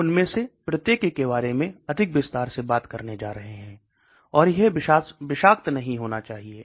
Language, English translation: Hindi, We are going to talk about each one of them much more in detail, and it should not have toxicity